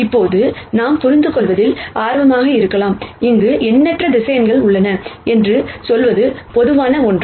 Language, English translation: Tamil, Now, we might be interested in understanding, something more general than just saying that there are infinite number of vectors here